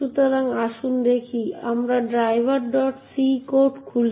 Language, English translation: Bengali, So, let us look at a disassembly of the driver code